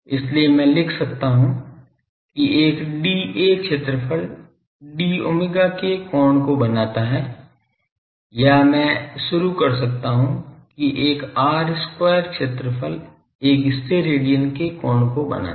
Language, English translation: Hindi, So, I can write that a d A area d A area subtends an angle of d omega or I can start that an r square area subtends an angle of one Stedidian